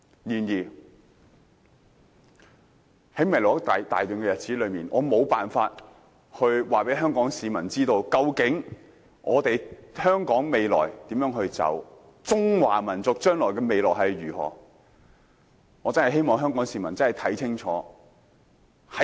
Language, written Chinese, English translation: Cantonese, 然而，在未來一大段日子中，我無法告訴香港市民究竟香港前路如何，中華民族的未來又會如何，但我真的希望香港市民能看清楚。, Nonetheless in a long period of time in the future I am unable to tell Hong Kong people what the way forward of Hong Kong will be and what the future of the Chinese nation will be but I sincerely hope that members of the public in Hong Kong can see the picture clearly